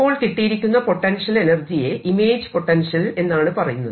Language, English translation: Malayalam, these are known as this is known as the image potential